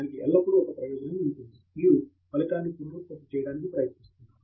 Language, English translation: Telugu, There is always one advantage to that; you are trying to reproduce a result